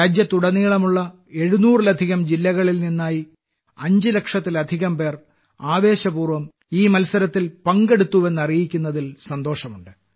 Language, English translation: Malayalam, I am glad to inform you, that more than 5 lakh people from more than 700 districts across the country have participated in this enthusiastically